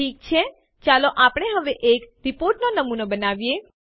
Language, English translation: Gujarati, Okay, now, let us create a sample report